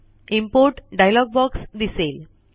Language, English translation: Marathi, The Import dialog box appears